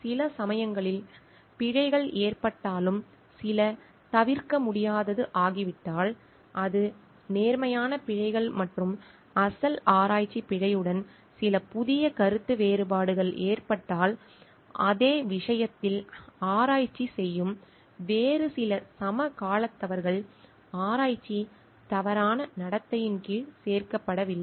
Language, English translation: Tamil, If sometimes errors get committed and some it becomes unavoidable, so that is honest errors and some new differents of opinion has happened with the original research error some other contemporary people doing research on the same thing, then those are not included under research misconduct